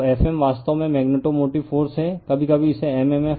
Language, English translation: Hindi, So, F m is actually magnetomotive force, sometimes we call it is at m m f